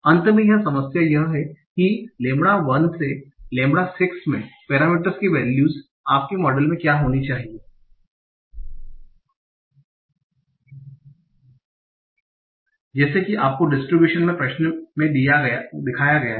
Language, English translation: Hindi, Finally the problem is what should be the values of the parameters in your model, lambda 1 to lambda 6, such that you obtain the distribution as shown in the question